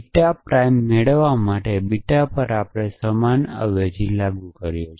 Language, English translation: Gujarati, So, apply the same substitution to beta to get beta prime